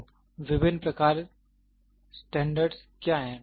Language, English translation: Hindi, So, what are the different types of standards